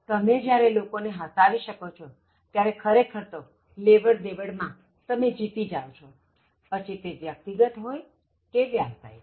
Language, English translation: Gujarati, When you make people laugh, you actually win the transaction whether it is personal or it is business